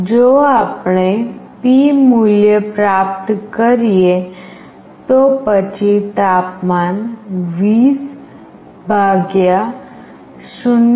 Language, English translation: Gujarati, If we receive the value P, then the temperature will be 20 / 0